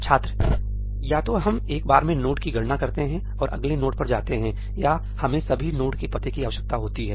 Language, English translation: Hindi, Either we compute one node at a time and go to the next node or we need to have the addresses of all the nodes